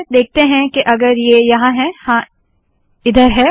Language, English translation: Hindi, Let me just see if it is here, yes it is here